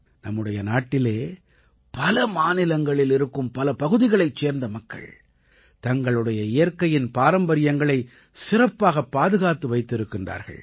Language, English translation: Tamil, There are many states in our country ; there are many areas where people have preserved the colors of their natural heritage